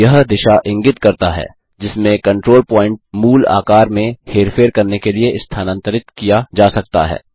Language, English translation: Hindi, This indicates the directions in which the control point can be moved to manipulate the basic shape